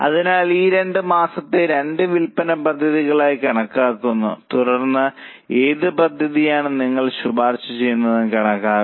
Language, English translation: Malayalam, So, these two months are treated as two sales plans and then we have to calculate which plant do you recommend